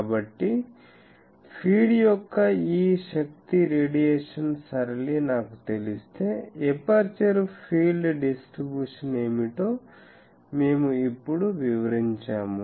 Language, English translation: Telugu, So, we now relate that if I know this power radiation pattern of the feed, what will be the aperture field distribution